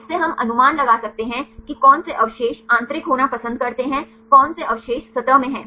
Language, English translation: Hindi, From this one can we guess which residues prefer to be the interior which residues are in the surface